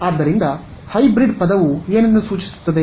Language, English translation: Kannada, So, what does a word hybrid imply